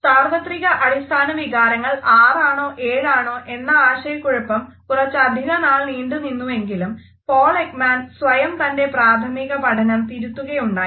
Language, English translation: Malayalam, The confusion whether the universal basic emotions are six or seven continued for some time, but we find that this initial research was revised by Paul Ekman himself